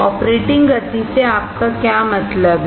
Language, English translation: Hindi, What do you mean by operating speeds